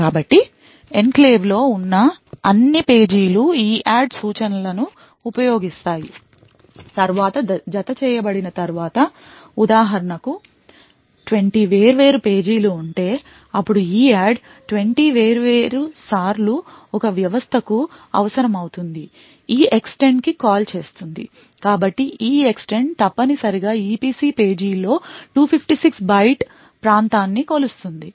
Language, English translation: Telugu, So after all pages present in the enclave had been added that is using the EADD instruction so for example if there are like 20 different pages then EADD would be invoked 20 different times one system would then need to call EEXTEND so the EEXTEND would essentially measure a 256 byte region in an EPC page